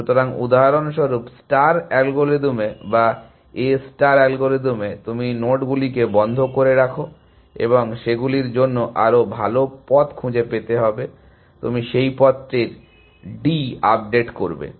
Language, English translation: Bengali, star algorithm or in A star algorithm, you keep the nodes in the closed and you may find a better path them in which case, you update that path and that kind of a thing